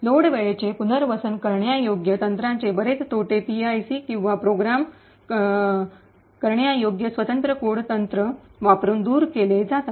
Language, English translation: Marathi, A lot of the disadvantages of the Load time relocatable technique are removed by using PIC or Programmable Independent Code technique